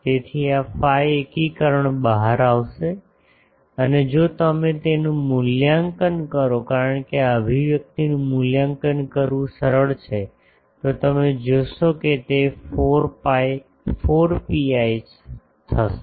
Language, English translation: Gujarati, So, this phi integration will come out and if you evaluate this because this expression is easy to evaluate, you will find that it will turn out to be 4 pi